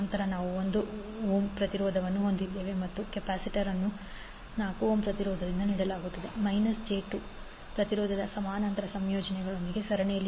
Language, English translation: Kannada, Then we have 1 ohm resistance and in series with parallel combination of minus j 2 impedance offered by the capacitance and 4 ohm resistance